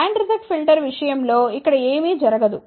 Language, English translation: Telugu, In case of band reject filter nothing is going over here